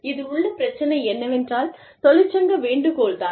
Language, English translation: Tamil, So, the issues, regarding this are, union solicitation